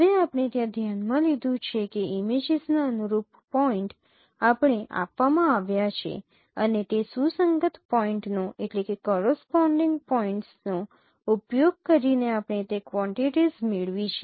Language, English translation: Gujarati, Now there we have considered that the corresponding points of the images they are given to us and using those corresponding points we have obtained those quantities